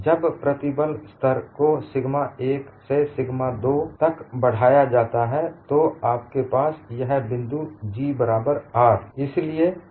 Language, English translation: Hindi, When the stress level is increased from sigma 1 to sigma 2, you have at this point, G equal to R